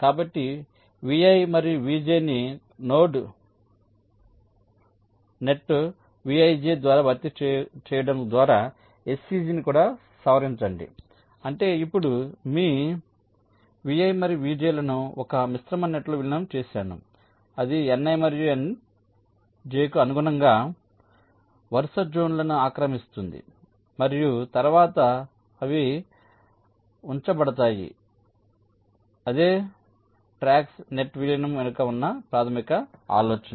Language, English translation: Telugu, ok, so also modify h c g by replacing vi and vj by a node net, vij, which means that now i have merged vi and vj in to a composite net which will occupy can consecutive zones corresponding to ni and nj and later on they will be placed on the same track